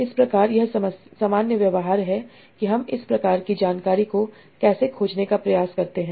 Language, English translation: Hindi, So, that is some sort of generic behavior of how we try to explore this sort of information